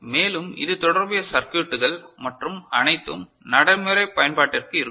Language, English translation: Tamil, There will be more associated circuitry and all for practical use